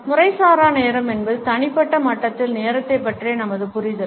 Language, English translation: Tamil, Informal time is normally our understanding of time at a personal level